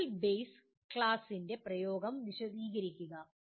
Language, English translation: Malayalam, Explain the use of virtual base class